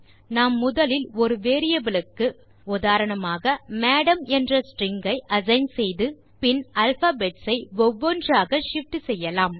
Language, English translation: Tamil, We shall first assign a string say MADAM to a variable and then shift the alphabets one by one